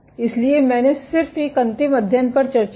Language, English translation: Hindi, So, I just discussed one last study